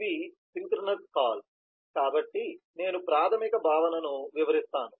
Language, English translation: Telugu, so these are synchronous call, so let me just explain the basic concept